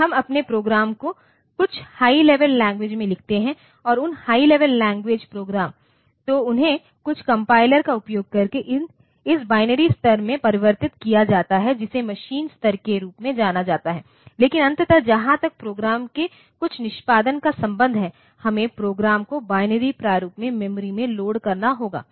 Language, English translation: Hindi, So, they are converted into this binary level which is known as a machine level by using some compilers, but ultimately as far as the some execution of the program is concerned, we have to load the program in binary format into the memory